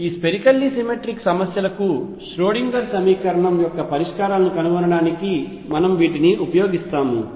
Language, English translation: Telugu, We will use these to find the solutions of Schrodinger equation for these spherically symmetric problems